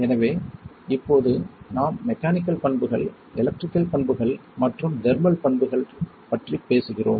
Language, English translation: Tamil, So now, we are talking about mechanical properties, electrical properties and thermal properties